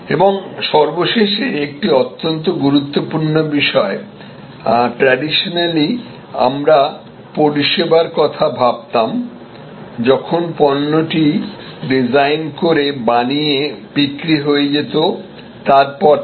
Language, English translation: Bengali, And lastly, a very important point that traditionally we looked at service after the goods were manufactured designed and manufactured and sold service was thought off